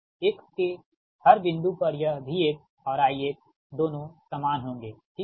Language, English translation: Hindi, this v x and i x both remain same right